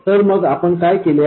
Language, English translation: Marathi, So what did we do then